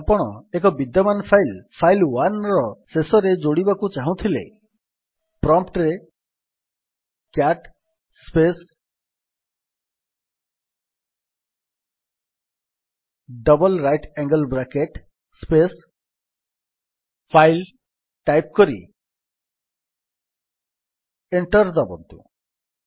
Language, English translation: Odia, Now if you wish to append to the end of an existing file file1 type at the prompt: cat space double right angle bracket space file1 and press Enter